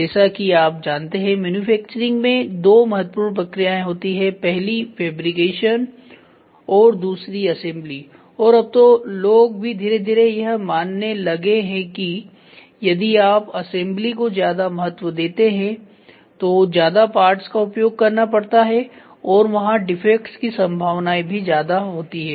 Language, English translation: Hindi, As you know in manufacturing there are two important processes; one is fabrication the other one is assembly and people slowly have started realising that if you give more importance that to assembly then you will try to have more number of parts and there is a prone for defects also